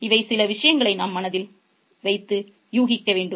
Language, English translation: Tamil, So, this is something we need to keep in mind